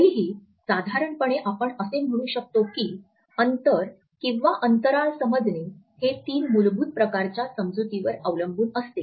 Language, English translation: Marathi, Still roughly we can say that the understanding of space is governed by our understanding of three basic types